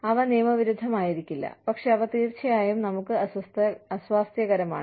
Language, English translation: Malayalam, They may not be unlawful, but they are definitely uncomfortable, for us